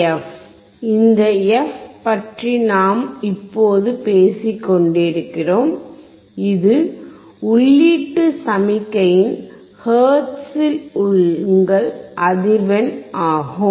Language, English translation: Tamil, Second, this AF we know now we are talking about this f is the frequency of the input signal in hertz